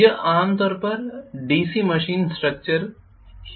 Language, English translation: Hindi, This is what is generally the DC machine structure